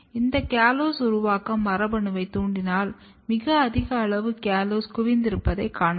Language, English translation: Tamil, And if you induce this callose synthesis gene, you can see a very high amount of callose getting accumulated